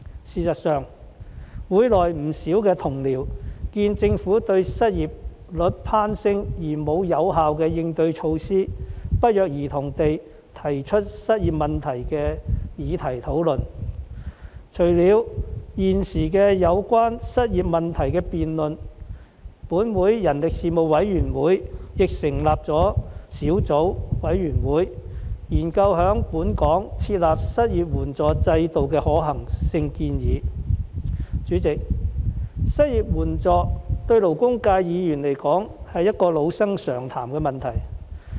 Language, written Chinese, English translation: Cantonese, 事實上，議會內不少同事眼見政府對失業率攀升並無有效應對措施，均不約而同地提出有關失業問題的議題進行討論，除了現時有關失業問題的辯論外，本會人力事務委員會亦成立了小組委員會，研究在本港設立失業援助制度的可行建議。代理主席，失業援助對勞工界議員來說，是一個老生常談的問題。, As a matter of fact seeing that the Government has no effective measures to deal with the soaring unemployment rate many Honourable colleagues in the Council have coincidentally raised the issue of unemployment for discussion . Apart from the present debate on unemployment the Panel on Manpower of this Council has also set up a subcommittee to look into possible proposals for the establishment of an unemployment assistance system in Hong Kong Deputy President to Members of the labour sector unemployment assistance is a frequently visited issue